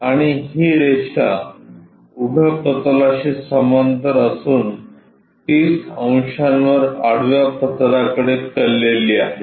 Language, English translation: Marathi, And, this line is parallel to vertical plane and inclined to horizontal plane at 30 degrees